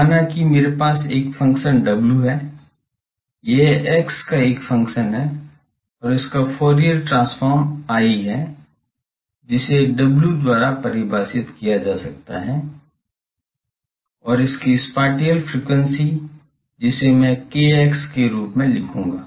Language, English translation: Hindi, Let us say that I have a function w, it is a function of x, and its Fourier transform I can define by W and the spatial frequency I will write as kx